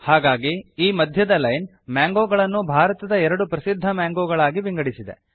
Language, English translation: Kannada, So this central line has split the mangoes into two of the most popular mangoes in India